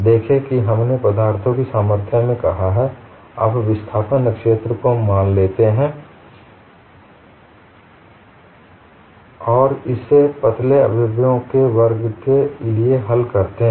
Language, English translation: Hindi, See we said in strength of materials, you assume the displacement field and solve it for a class of slender members